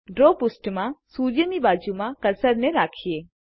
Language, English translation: Gujarati, On the draw page, place the cursor next to the sun